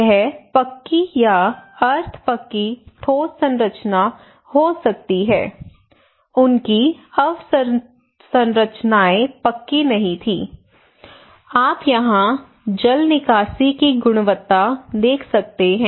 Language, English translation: Hindi, And it could be pucca or semi pucca concrete structure, their infrastructures were not grooved, you can see the drainage quality here